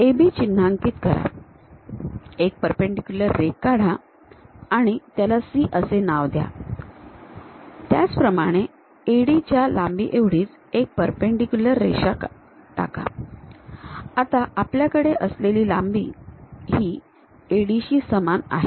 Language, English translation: Marathi, Mark AB, drop A perpendicular line name it C; similarly, drop a perpendicular line whatever AD length is there, we have the same AD length